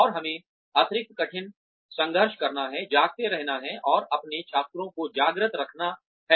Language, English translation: Hindi, And, we have to struggle extra hard, to stay awake, and to keep our students awake